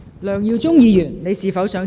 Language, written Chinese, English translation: Cantonese, 梁耀忠議員，你是否想再次發言？, Mr LEUNG Yiu - chung do you wish to speak again?